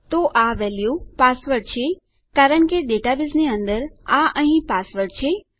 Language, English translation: Gujarati, So this value is password, because inside our database, this is password here